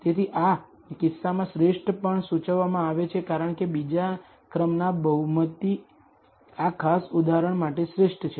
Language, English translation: Gujarati, So, the optimal in this case is also indicated as a second order polynomial is best for this particular example